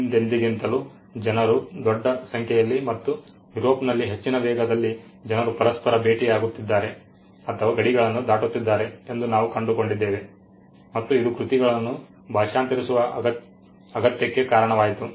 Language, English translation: Kannada, We also found that people were meeting each other or crossing borders much at a much greater pace than they ever did in history and at a much bigger number and in Europe this actually led to the need to translate works